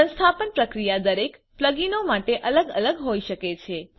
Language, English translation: Gujarati, The installation procedure may be different for each plug ins